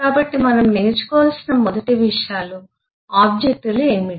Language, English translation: Telugu, so the first things we need to learn are: what are the objects